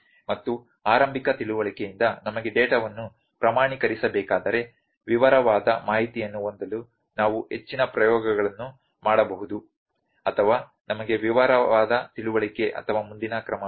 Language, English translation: Kannada, And from the initial understanding if we need the data has to be quantified then we can do the further experiments to have the detailed information or we have to detail have the detail understanding or the further course of action